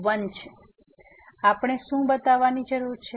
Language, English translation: Gujarati, So, what we need to show